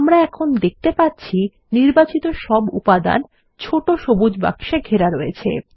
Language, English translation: Bengali, Now we see that all these elements are encased in small green boxes